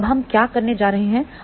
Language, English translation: Hindi, So, now, what we are going to do